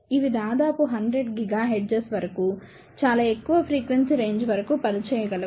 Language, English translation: Telugu, So, they can operate up to very high frequency range